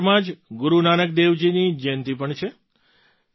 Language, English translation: Gujarati, It is also the birth anniversary of Guru Nanak Dev Ji in November